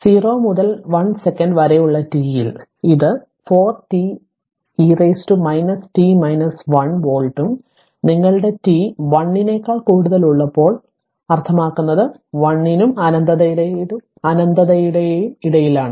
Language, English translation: Malayalam, So it is 4 t volt for in t in between 0 and 1 second and your 4 into e to the power minus t minus 1 volt when you when t is greater than 1, but I mean in between 1 and infinity right